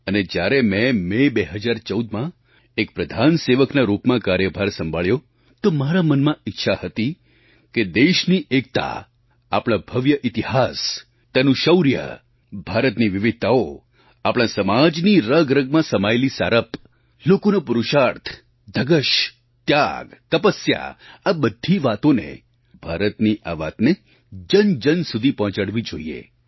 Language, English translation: Gujarati, And in 2014, when I took charge as the Pradhan Sevak, Principal Servant, it was my wish to reach out to the masses with the glorious saga of our country's unity, her grand history, her valour, India's diversity, our cultural diversity, virtues embedded in our society such as Purusharth, Tapasya, Passion & sacrifice; in a nutshell, the great story of India